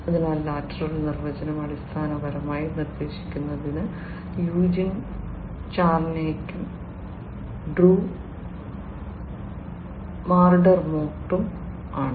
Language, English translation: Malayalam, So, the lateral definition is basically proposed by Eugene Charniak and Drew McDermott